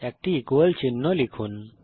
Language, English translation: Bengali, Type an equal to sign